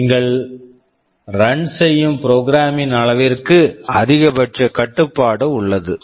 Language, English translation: Tamil, So, there is a maximum limit to the size of the program that you can run